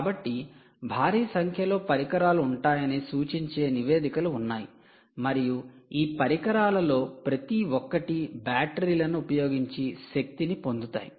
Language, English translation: Telugu, so all that indicates that there will be huge number of devices and each of these devices are powered using batteries